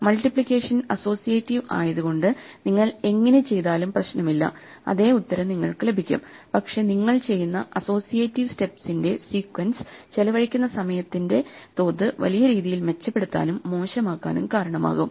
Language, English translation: Malayalam, This is the way in which the sequence of multiplications though multiplication is associative and it does not matter what you do you will get the same answer; the sequence in which you do the associative steps can dramatically improve or worsen the amount of time you spend doing this